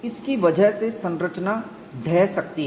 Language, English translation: Hindi, Because of this, the structure may collapse